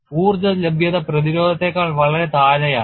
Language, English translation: Malayalam, The energy availability is much below the resistance